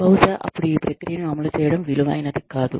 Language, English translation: Telugu, Then, maybe, it is not worthwhile, to implement this process